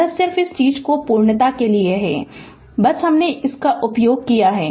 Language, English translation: Hindi, This is just to for the sake of completeness of this thing just I have taken this right